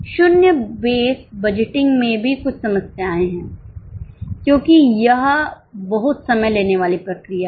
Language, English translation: Hindi, There are also some problems in zero based budgeting because it's a very much time consuming process